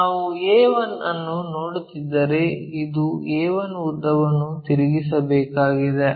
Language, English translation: Kannada, If, we are looking a 1, this a 1 length we have to rotate it